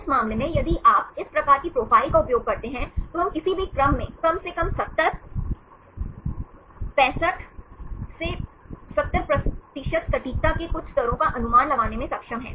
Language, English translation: Hindi, This case, if you use this type of profiles, we are able to predict to some level of acquires at least to 70, 65 to 70% of accuracy in any sequence